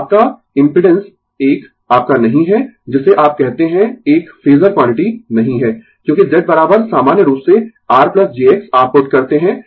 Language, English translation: Hindi, So, your impedance is not a your what you call is not a phasor quantity, because Z is equal to in general R plus j X you put right